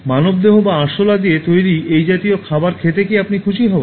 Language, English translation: Bengali, Will you be happy to eat this kind of food made out of human bodies or cockroaches